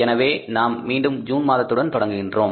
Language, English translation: Tamil, So, now we are continuing with the month of June